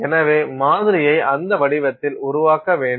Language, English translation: Tamil, So, you make your sample in that form